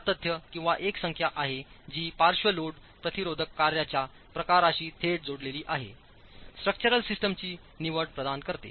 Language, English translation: Marathi, The R factor is one number which is linked directly to the type of lateral load resisting function choice of structural system provides